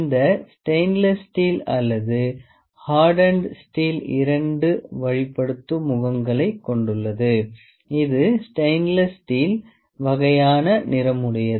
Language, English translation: Tamil, We can see this stainless steel or hardened steel there are two guiding face which is of stainless steel kind of colour